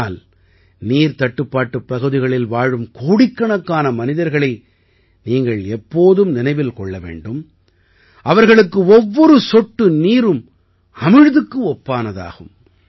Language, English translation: Tamil, But, you also have to always remember the crores of people who live in waterstressed areas, for whom every drop of water is like elixir